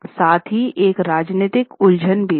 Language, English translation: Hindi, There was a political confusion as well